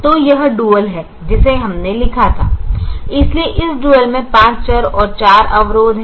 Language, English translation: Hindi, so this dual has five variables and four constraints